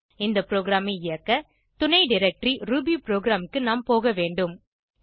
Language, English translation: Tamil, To execute the program, we need to go to the subdirectory rubyprogram